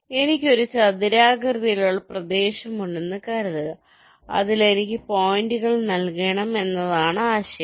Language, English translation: Malayalam, the idea is that suppose i have a rectangular area in which i have to layout the points